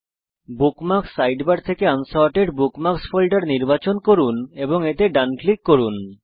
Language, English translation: Bengali, From the Bookmarks sidebar, select the Unsorted Bookmarks folder and right click on it